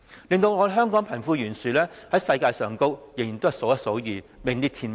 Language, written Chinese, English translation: Cantonese, 因此，香港的貧富懸殊在世界上，仍然數一數二，名列前茅。, Hence the wealth gap of Hong Kong still ranks among the top in the world